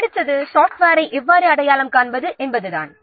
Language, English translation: Tamil, Then the next is how to identify the software